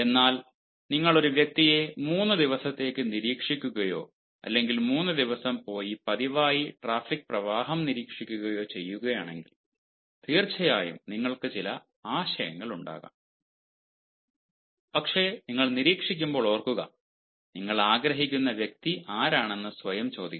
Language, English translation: Malayalam, but if you observe a person for three days or if you observe at an incident, ah, if you observe at the traffic flow for three days regularly, of course you may have some idea, but remember, when you are observing, you should also ask yourself who is the person, who, whom you want to observe and why you are observing him